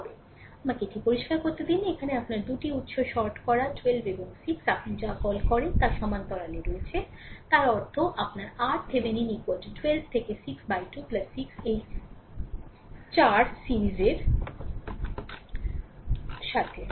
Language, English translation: Bengali, So, let me clear it so, here this is your two sources shorted 12 and 6 are your what you call are in parallel; that means, your R Thevenin is equal to 12 into 6 by 12 plus 6 right plus this 4 ohm with that in series